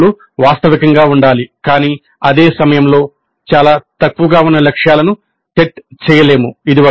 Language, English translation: Telugu, The COs must be realistic but at the same time one cannot set targets which are too low